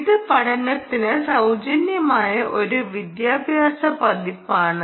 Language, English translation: Malayalam, this is an educational version, free for learning